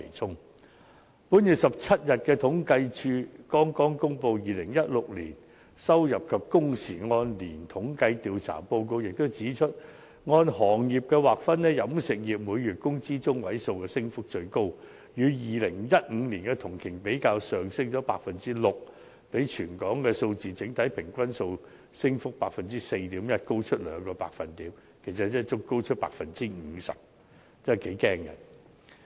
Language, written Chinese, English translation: Cantonese, 政府統計處剛在本月17日公布的《2016年收入及工時按年統計調查報告》也指出，按行業劃分，飲食業每月工資中位數的升幅最高，與2015年同期比較上升了 6%， 比全港數字的整體平均 4.1% 的升幅高出兩個百分點，其實即高出了 50%， 升幅頗為驚人。, It is also pointed out in the 2016 Report on Annual Earnings and Hours Survey published by the Census and Statistics Department that according to the breakdown by industry the catering industry has seen the highest rate of increase in monthly median wage 6 % higher than the corresponding period in 2015 or two percentage points higher than the overall average rate of increase of 4.1 % recorded in territory - wide figures . Actually the 50 % rate of increase is quite alarming